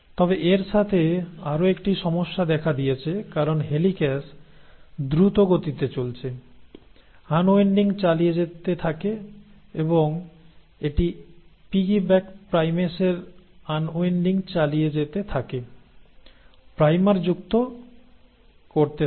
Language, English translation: Bengali, But there is another problem it encounters because the helicase is moving faster, keeps on unwinding and as it keeps on unwinding the piggy backed primase keeps on adding primers